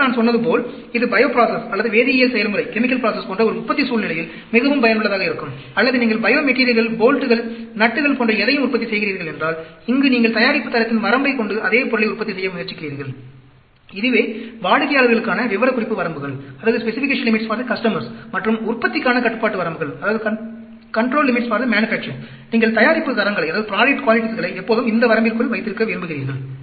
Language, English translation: Tamil, And, as I said, this is very useful in a manufacturing scenario like bio process, or chemical process, or if you are manufacturing bio materials, bolts, nuts, anything, where you are trying to produce the same item, with the set of, with the range of product quality, that is the specification limits for the customers, and control limits for the manufacturing, you would like to always keep this range, keep the product qualities within this range